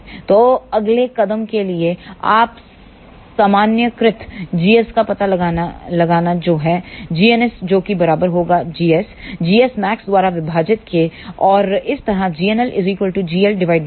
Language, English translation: Hindi, So, the next step is you find out the normalized g s which is g n s this will be equal to g s divided by g s max, similarly, g n l will be g l divided by g l max